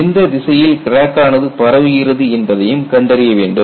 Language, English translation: Tamil, Also determine the direction in which crack can propagate